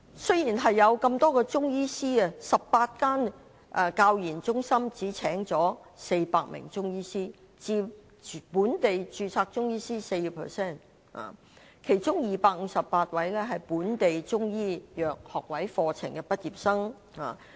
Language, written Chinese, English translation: Cantonese, 雖然有那麼多中醫師，但18間中醫教研中心只聘請400名中醫師，佔本地註冊中醫師的 4%， 其中258名是本港中醫藥學位課程的畢業生。, Despite the large number of Chinese medicine practitioners the 18 CMCTRs only hire 400 Chinese medicine practitioners only 4 % of local registered Chinese medicine practitioners and among them 258 are graduates of local degree courses in Chinese medicine